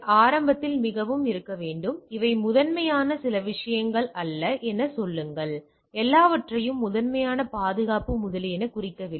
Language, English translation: Tamil, To be very to be on at the beginning so, say that these are the things which are not primarily some not all the things are primarily meant for the security etcetera